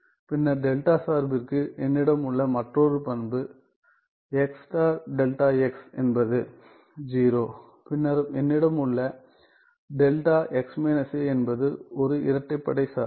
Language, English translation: Tamil, Then another property that I have for delta function is x times delta of x is 0, then I have delta of x minus a it’s an even function